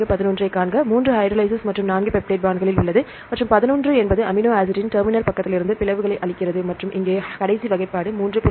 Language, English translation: Tamil, 11 see is the 3 is the hydrolase and 4 is in the peptide bonds and 11 it gives the cleave off the amino terminal of amino acid and the last classification here 3